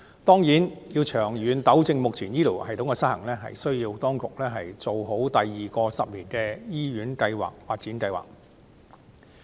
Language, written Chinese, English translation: Cantonese, 當然，當局要長遠糾正目前醫療系統的失衡，就須做好第二個十年醫院發展計劃。, Certainly if the authorities want to rectify the existing imbalance in the health care system in the long run they must properly undertake the second 10 - year hospital development plan